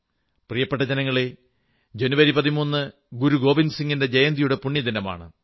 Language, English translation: Malayalam, My dear countrymen, January 13 is the date ofthe sacred festival observed in honour of Guru Gobind Singh ji's birth anniversary